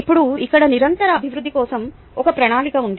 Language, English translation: Telugu, now here is a plan for continuous improvement